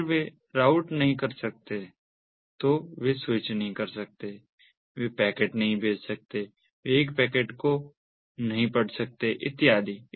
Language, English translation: Hindi, if they cannot route, they cannot switch, they cannot send the packetsthey cannot read a packetsand so on, so they can only do very simple things